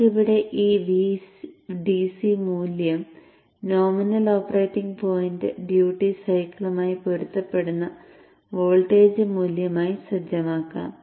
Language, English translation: Malayalam, So let us set this VDC value here to a voltage value which should correspond to the nominal operating point duty cycle